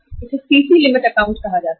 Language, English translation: Hindi, This is called as CC limit account